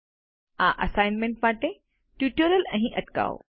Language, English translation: Gujarati, Pause the tutorial here for this assignment